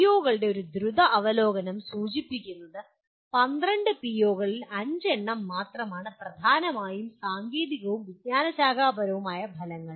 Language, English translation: Malayalam, And a quick review of the POs indicates only 5 of 12 POs are dominantly technical and disciplinary outcomes